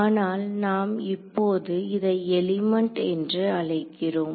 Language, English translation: Tamil, So, but we are calling them elements now ok